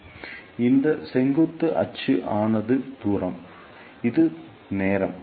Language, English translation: Tamil, So, this vertical axis is distance, this is time